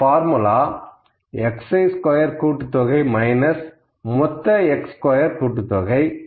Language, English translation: Tamil, So, I will put this value here, this is equal to summation of x squared minus summation of x square, ok